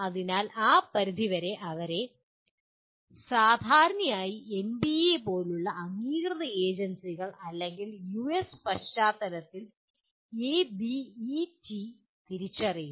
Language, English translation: Malayalam, So to that extent they are normally identified by accrediting agencies like NBA or in the US context by ABET